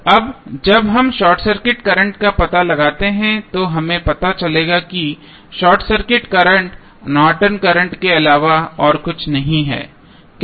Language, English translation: Hindi, Now, when we find out the short circuit current we will come to know that short circuit current is nothing but the Norton's current, how